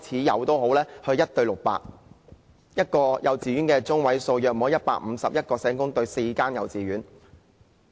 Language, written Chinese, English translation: Cantonese, 一間幼稚園的學生中位數大約是151人，即一位社工對4間幼稚園。, The median number of students in a kindergarten is approximately 151 meaning one social worker has to serve four kindergartens